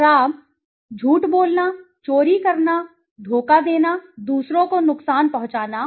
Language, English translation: Hindi, Bad; lying, stealing, deceiving, harming others